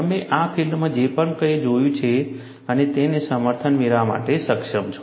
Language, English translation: Gujarati, Whatever you have seen in the field, you are able to get a justification